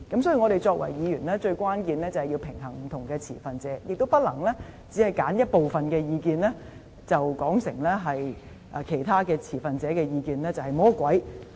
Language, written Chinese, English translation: Cantonese, 所以，我們作為議員，最關鍵的作用是平衡不同的持份者的意見，也不能只是揀選一部分意見，然後便把其他持份者的意見說成像魔鬼般。, Therefore our key function as Members is to strike a balance among the views of various stakeholders . We cannot just select some of the views and paint the views of other stakeholders in an evil light